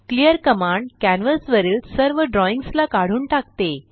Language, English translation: Marathi, clear command cleans all drawings from canvas